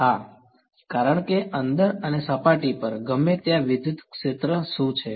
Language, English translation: Gujarati, Yes, that because any where inside and on the surface what is the electric field